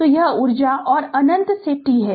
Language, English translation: Hindi, So, this is energy and minus infinity to t